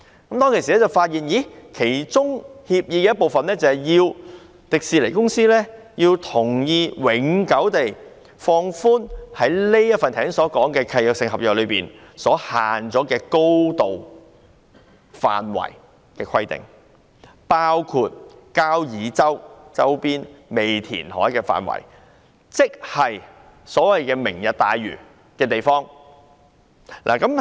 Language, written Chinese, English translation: Cantonese, 我當時發現協議的其中一部分，是要求迪士尼公司同意永久放寬剛才提及的限制性契約中的高度限制，包括交椅洲周邊尚未填海的範圍，亦即是"明日大嶼"的地點。, At that time I discovered that under a particular part of the agreement TWDC was required to agree to relax permanently the height restrictions in the DRC mentioned just now including the area in the vicinity of Kau Yi Chau where reclamation has not been carried out which is also the site selected for Lantau Tomorrow